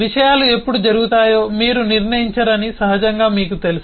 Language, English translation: Telugu, naturally you know that you dont decide when things will happen, how things will happen